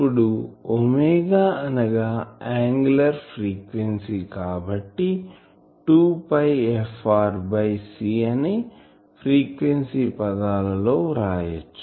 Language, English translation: Telugu, Now, omega is angular frequency, so I can write it in terms of the frequency 2 pi f r by c